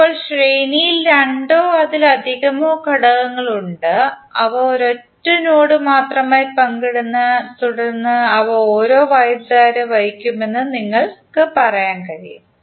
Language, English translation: Malayalam, Now there are two or more elements which are in series they exclusively share a single node and then you can say that those will carry the same current